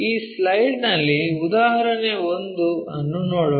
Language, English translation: Kannada, Let us look at an example 1 on this slide